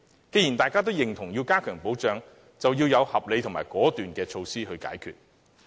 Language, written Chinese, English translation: Cantonese, 既然大家均贊同要加強保障，就要訂定合理的解決措施，果斷執行。, Since we all approve of enhanced protection we should formulate reasonable initiatives to solve the problem and put them into implementation decisively